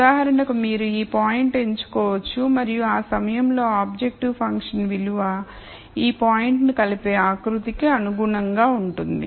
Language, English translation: Telugu, So, for example, you could pick this point and the objective function value at that point would be corresponding to a contour which intersects this point